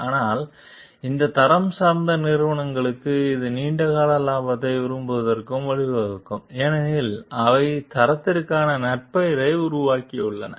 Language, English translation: Tamil, But for this quality oriented companies, it may lead to like the long term profit because they have developed a reputation for quality